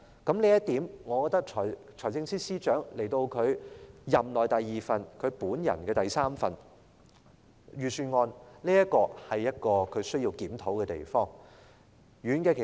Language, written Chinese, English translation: Cantonese, 這已是財政司司長在本屆政府任內的第二份預算案，亦是他本人的第三份預算案，我認為他需要就這一點作出檢討。, This is already FSs second Budget in the current term of Government and the third one of his own . I hold that he should review this point